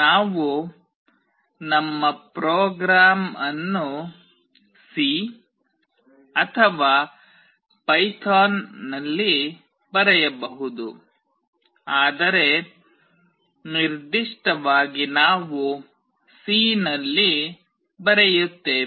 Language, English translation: Kannada, We can write our program in C or python, but most specifically we will be writing in C